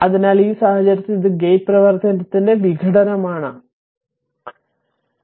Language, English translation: Malayalam, So, in this case this is a decomposition of the gate function; this one and this one